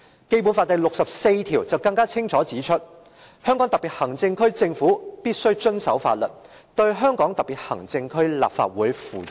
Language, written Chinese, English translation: Cantonese, "《基本法》第六十四條更清楚指出："香港特別行政區政府必須遵守法律，對香港特別行政區立法會負責"。, Article 64 of the Basic Law clearly states The Government of the Hong Kong Special Administrative Region must abide by the law and be accountable to the Legislative Council of the Region